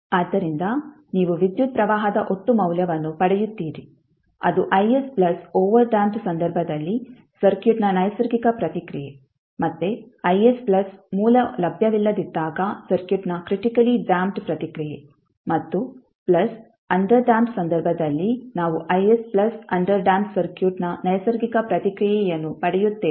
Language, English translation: Kannada, So you will get the total value of current i t is nothing but I s plus natural response of the circuit in case of overdamped, again I s plus critically damped response of the circuit when source is not available and plus in case of underdamped we get I s plus the natural response of underdamped circuit